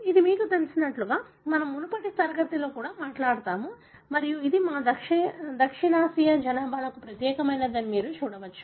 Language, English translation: Telugu, This is something that we, you know, we spoke about in the earlier class also and you can see that that is unique to our South Asian population